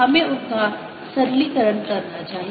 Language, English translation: Hindi, let us simplify them